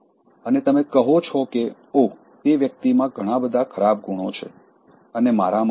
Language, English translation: Gujarati, And you say that, oh, that person has all bad qualities and I don’t have these ones